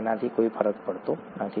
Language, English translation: Gujarati, That doesnÕt matter